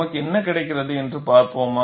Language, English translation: Tamil, Let us see what we get